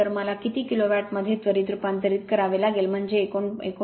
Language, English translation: Marathi, So, I have to converted in to kilo watt right, so that is 19